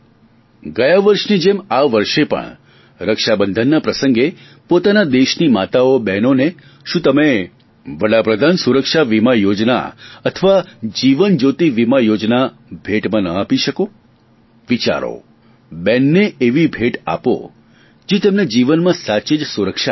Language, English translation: Gujarati, Just like last year, can't you gift on the occasion of Raksha Bandhan Pradhan Mantri Suraksha Bima Yojna or Jeevan Jyoti Bima Yojna to mothers and sisters of our country